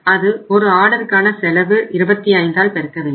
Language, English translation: Tamil, 47 and multiplied by the per order cost that is 25